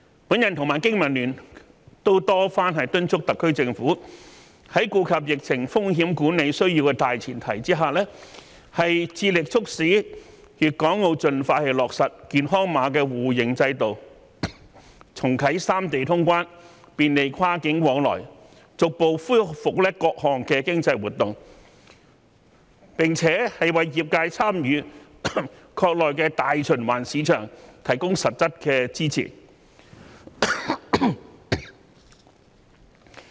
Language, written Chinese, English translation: Cantonese, 我和經民聯都多番敦促特區政府，在顧及疫情風險管理需要的大前提下，致力促使粵港澳盡快落實"健康碼"互認制度，重啟三地通關，便利跨境往來，逐步恢復各項經濟活動，並為業界參與"國內大循環市場"提供實質的支持。, BPA and I have urged the SAR Government repeatedly that on the premise of the need to take into account the risk of the pandemic it should endeavour to promote the implementation of the Mutual recognition system for health codes in Guangdong Hong Kong and Macao as soon as practicable so as to reopen boundary control points of the three places with a view to facilitating cross - boundary activities and restoring all forms of economic activities in a gradual manner in addition to providing concrete support for the industries in participating in the domestic circulation activities